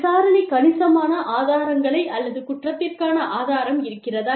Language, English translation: Tamil, Did the investigation provide, substantial evidence, or proof of guilt